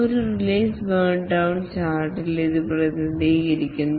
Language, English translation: Malayalam, This is represented in a release burn down chart